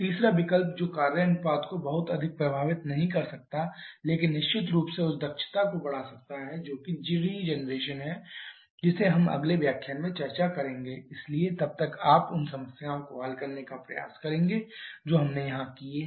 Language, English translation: Hindi, The third option which may not affect the work ratio that much but definitely can increase the efficiency that which is regeneration that we shall be discussing in the next lecture, so till then you try to solve the problems that we have done here